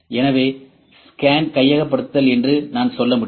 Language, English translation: Tamil, So, this is I can say acquisition of scan ok